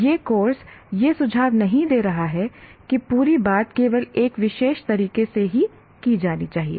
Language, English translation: Hindi, The course doesn't, is not suggesting that the whole thing should be done only in one particular way